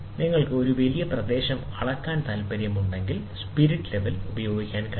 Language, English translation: Malayalam, If you want to measure a very large area, then you cannot use a spirit level